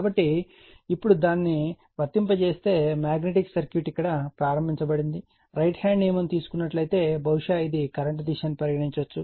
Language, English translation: Telugu, So, now if you apply your that you are what you call that yourmagnetic circuit you have started the, right hand rule suppose this is the direction of the current is taken